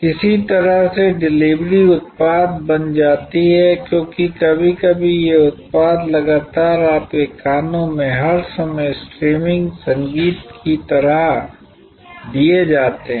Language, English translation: Hindi, In some way the delivery becomes the product, because sometimes these products are continuously delivered like streaming music in your ears all the time